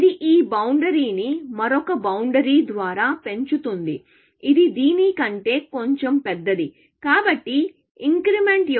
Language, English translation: Telugu, It augments this boundary by another boundary, which is little bit bigger than this; so, increment